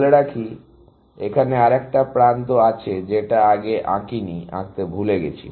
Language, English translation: Bengali, Let us say, there is another edge, which I have not drawn earlier; forgot to draw earlier